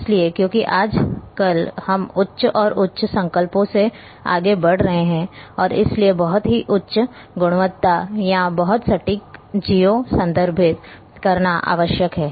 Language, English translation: Hindi, So, because nowadays we are moving from higher and higher resolutions and therefore, very high quality or very accurate geo referencing is required